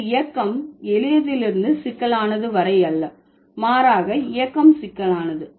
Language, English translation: Tamil, So, here the movement is not from simple to complex, rather the movement is from complex to simple